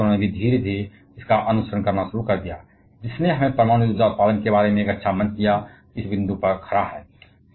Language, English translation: Hindi, And other countries started slowly following that which has given us a good platform about nuclear power generation, standing at this point